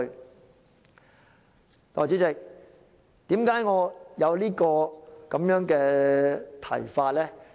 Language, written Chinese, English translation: Cantonese, 代理主席，為何我有這個提議呢？, Deputy President why did I make this proposal?